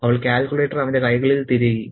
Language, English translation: Malayalam, She stuffed the calculator into his hands